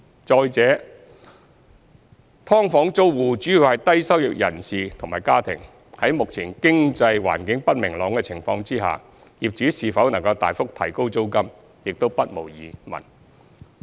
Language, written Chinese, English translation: Cantonese, 再者，"劏房"租戶主要是低收入人士及家庭，在目前經濟環境不明朗的情況下，業主是否能大幅提高租金，也不無疑問。, Moreover as SDU tenants are mainly low - income individuals and families given the current economic uncertainty it is doubtful whether landlords can substantially increase the rent